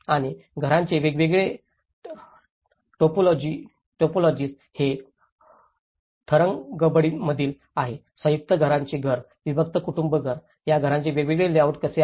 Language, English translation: Marathi, And different typologies of houses, this is in Tharangambadi and how different layouts of these houses like a joint family house, a nuclear family house